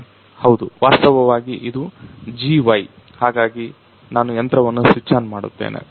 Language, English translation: Kannada, Actually this is the GY ; so I am going to switch on the machine